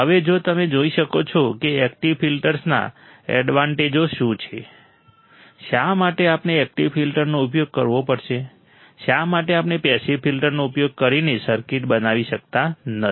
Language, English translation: Gujarati, Now, if you see what are the advantage of active filters, why we have to use active filters, why we have to use active filters, why we cannot generate the circuits using passive filters